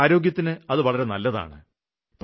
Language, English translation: Malayalam, It is good for the environment